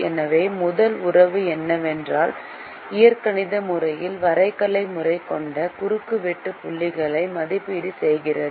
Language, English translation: Tamil, so the first relationship is that the algebraic method evaluates the intersection points that the graphical method has